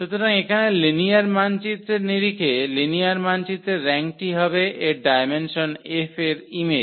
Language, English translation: Bengali, So, here in terms of the linear map, the rank of a linear map will be the dimension of the image of F